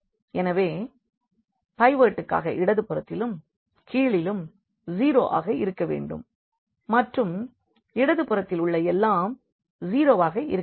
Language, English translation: Tamil, So, for the pivot it has to be 0 to the left and also to the bottom and everything to the left has to be 0